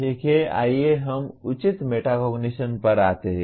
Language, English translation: Hindi, Okay, let us come to proper metacognition